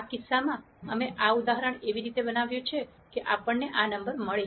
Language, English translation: Gujarati, In this case, we have constructed this example in such a way that we get this number